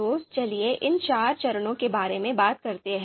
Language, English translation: Hindi, So let’s talk about these four steps